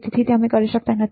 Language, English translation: Gujarati, So, we cannot do that